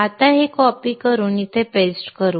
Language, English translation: Marathi, Now let us copy this and paste it here